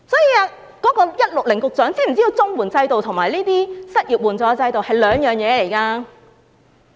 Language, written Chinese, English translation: Cantonese, 究竟 "IQ 160局長"知否綜援制度與失業援助制度是兩回事？, Does the Secretary IQ 160 know that CSSA and unemployment assistance are two separate schemes?